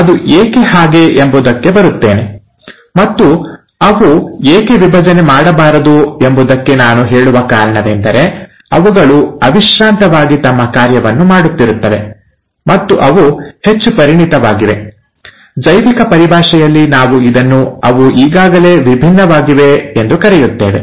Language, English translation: Kannada, I’ll come to it as to why, and the reason in fact I would say that they don’t divide is because they are too busy doing their function and they are highly specialized, in biological terms we call it as, they are already ‘differentiated’